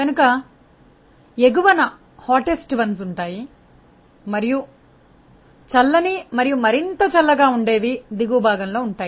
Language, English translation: Telugu, So, hottest ones are there at the top and cooler and cooler ones are at the further bottom